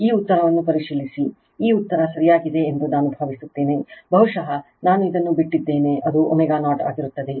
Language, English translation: Kannada, Just check this answer I think this answer is correct, perhaps this I missed this one, it will be omega 0 right